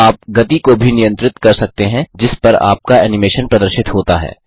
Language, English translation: Hindi, You can also control the speed at which your animation appears